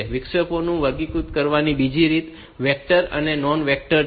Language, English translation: Gujarati, Another way of classifying interrupts is by vectored and non vectored